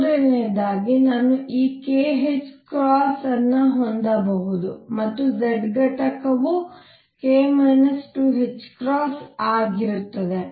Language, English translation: Kannada, Third I could have this k h cross and the z component would be k minus 2 h cross